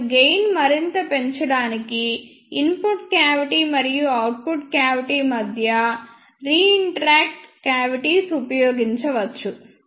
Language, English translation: Telugu, And to increase the gain further the reentrant cavities can be used between input cavity and output cavity